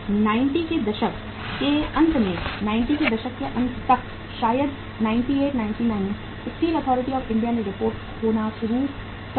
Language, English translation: Hindi, By the end of 90s, by the end of 90s, maybe 98, 99 Steel Authority of India started reporting loses